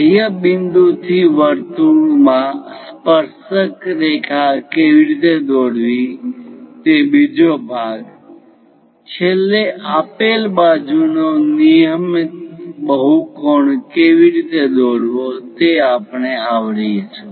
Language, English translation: Gujarati, The second part of the thing how to draw tangent to a circle from an exterior point; finally, we will cover how to construct a regular polygon of a given side